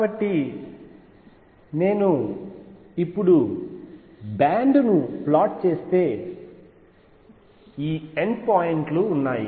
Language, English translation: Telugu, So, if I now plot the band, there are these n points